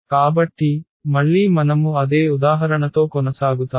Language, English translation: Telugu, So, again we will continue with the same example